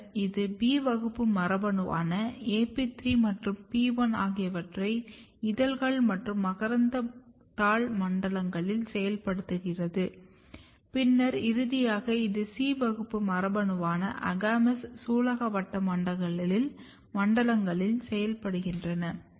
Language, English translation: Tamil, Then it activates B class gene which is AP3 and PI in petal and stamen zones and then it activates, finally, C class gene which is AGAMOUS in the carpel zones